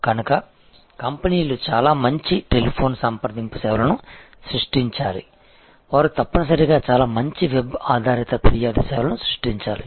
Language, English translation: Telugu, So, therefore, it can be quite damaging and so the companies must create a very good telephone contact services, they must create a very good web based complaining services